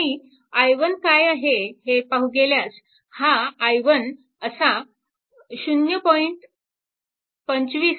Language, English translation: Marathi, Now, similarly i 2 is equal to i 2 is here